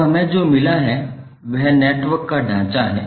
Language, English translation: Hindi, Now what we got is the skeleton of the network